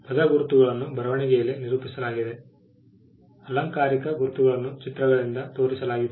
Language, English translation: Kannada, Word marks are represented in writing; figurative marks are shown by pictures